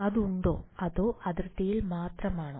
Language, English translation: Malayalam, Is it there or it is only on the boundary